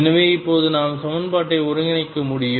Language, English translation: Tamil, So, now we are able to integrate the equation